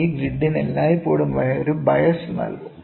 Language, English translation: Malayalam, This grid will always be given a bias, ok